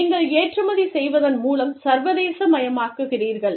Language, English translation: Tamil, Then, you internationalize, through export